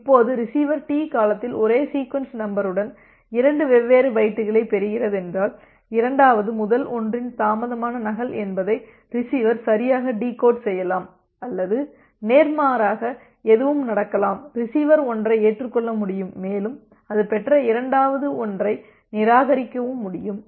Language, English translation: Tamil, Now, if the receiver is receiving two different bytes with the same sequence number with the duration T then the receiver can correctly decode that the second one is the delayed duplicate of the first one or the visa versa anything can happen and but you can you in that case the receiver can accept one and can discard the second one that it has received